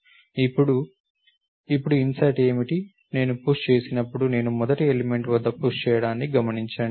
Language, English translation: Telugu, Now, what is the insertion now, notice that when I am pushing, I am pushing at the first element